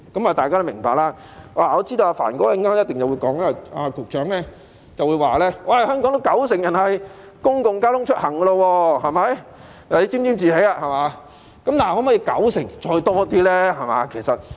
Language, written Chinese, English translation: Cantonese, 我知道局長稍後一定會說香港有九成人利用公共交通出行，看他沾沾自喜了，但可否比九成更多呢？, I know that the Secretary will certainly argue later that 90 % of the people in Hong Kong travel by public transport and see how he gets carried away now . But can it be more than 90 % ?